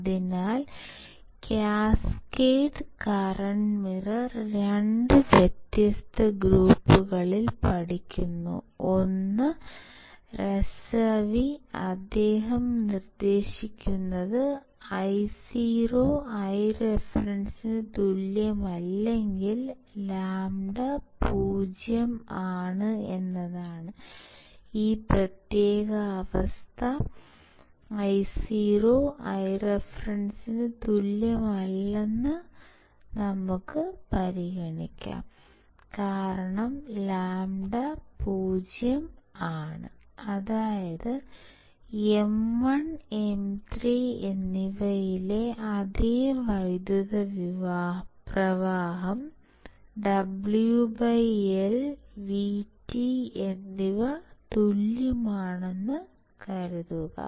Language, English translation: Malayalam, So, cascaded current mirror were studied by 2 different groups, one is Razavi where he proposes that, if Io is not equals to I reference if lambda equals to 0, let us consider this particular condition Io is not equals to I reference, because if lambda equals to 0, that is same current flows in M 1 and M 3, same current flows in M 1 and M 3, assuming W by L and V T are same VGS 3, equals to VGS 1 correct, what it says